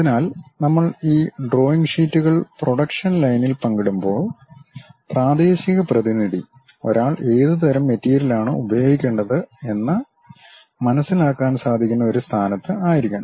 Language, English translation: Malayalam, So, when we are sharing these drawing sheets to the production line; the local representative should be in a position to really read, what kind of material one has to use